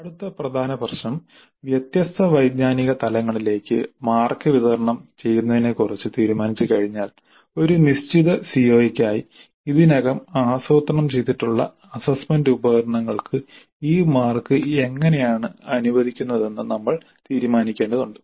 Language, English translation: Malayalam, Then we need to decide the next major issue is that having decided on the distribution of marks to different cognitive levels we need to decide how these marks are allocated to the assessment instruments already planned for a given CIO